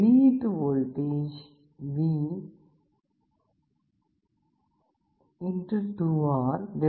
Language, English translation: Tamil, The output voltage V